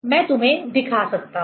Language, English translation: Hindi, I can show you